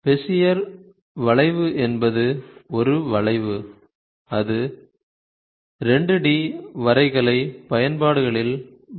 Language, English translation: Tamil, So, Bezier curve is nothing but a curve, that uses uses that is used in 2 D graphical applications ok